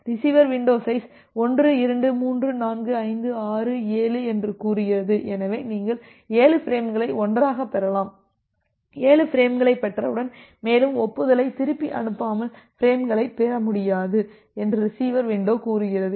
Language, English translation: Tamil, And the receiver window say that here the receiver window side is 1 2 3 4 5 6 7 so, receiver window says that well you can receive 7 frames all together and once you have received 7 frames, you will not be able to receive any further frame without sending back an acknowledgement